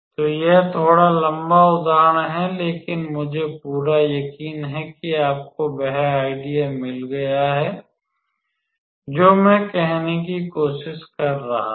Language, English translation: Hindi, So, it is a bit lengthy example, but I am pretty sure you got the idea what I was trying to say